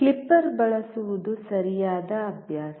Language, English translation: Kannada, Using a clipper is the right practice